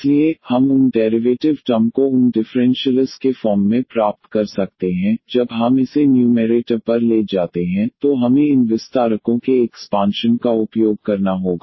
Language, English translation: Hindi, So, we can exactly get those derivative terms those differentials there, mostly we have to use these expansions there when we take this to numerator